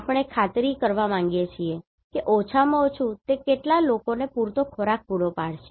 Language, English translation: Gujarati, So, we want to make sure that at least it should provide the sufficient food to the people